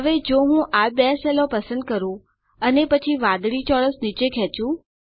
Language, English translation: Gujarati, Now If I select these two cells and then drag the blue square down let me move this here